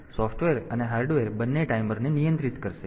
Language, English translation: Gujarati, So, both software and hardware will control the timer